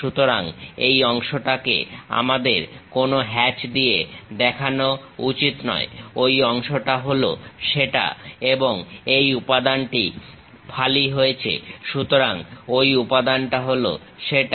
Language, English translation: Bengali, So, this part we should not show it by any hatch that part is that and this material is slice; so, that material is that